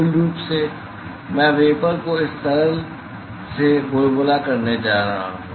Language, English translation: Hindi, Basically, I am going to bubble the vapor to this liquid